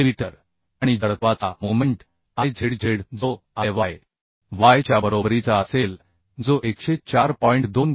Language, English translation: Marathi, 5 millimetre and moment of inertia Izz which will be equal to Iyy that is also given as 104